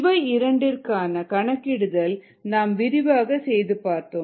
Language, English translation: Tamil, these two calculations we had seen in detail